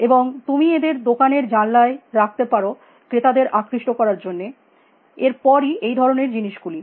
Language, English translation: Bengali, And you should keep them in shop window to attracts shoppers, then thinks like that